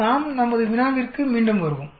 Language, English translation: Tamil, Let us come back to our problem